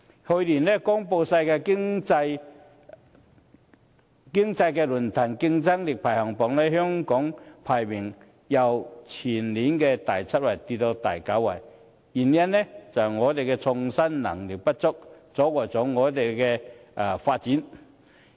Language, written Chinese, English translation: Cantonese, 去年公布的世界經濟論壇競爭力排行榜，香港排名由前年的第七位跌至第九位，原因就是創新能力不足，阻礙了我們的發展。, One of the reasons that made Hong Kong slip from seventh to ninth place in the Global Competitiveness Index of the World Economic Forum announced last year is our lack of innovative power which has stifled our development